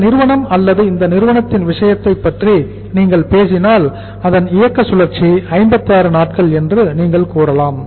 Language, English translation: Tamil, So it means in this case in this company’s case if you talk about this company or this company’s case you can say that their operating cycle is of 56 days